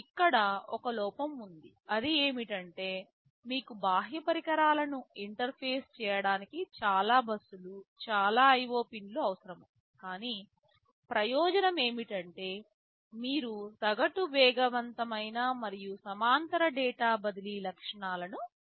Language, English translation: Telugu, The drawback is that you need so many buses, lot of IO pins to interface the external devices, but the advantage is that you get on the average faster and parallel data transfer features